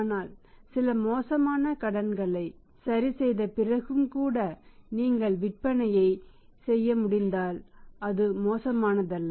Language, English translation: Tamil, But even after adjustment for some bad debts, so if you if you can make the sales it is not bad